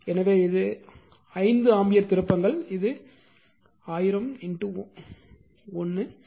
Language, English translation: Tamil, So, this is 5 ampere ton this is 1000 into 1